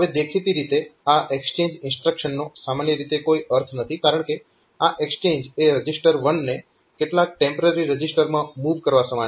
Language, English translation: Gujarati, Now, this exchange instructions have apparently it since there is no point having such an exchange instruction, because this exchange is equivalent to moving first this AH register 2 to some temporary register